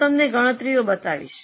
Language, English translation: Gujarati, I'll show you the calculations